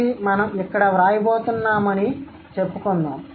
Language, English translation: Telugu, We are going to write it over here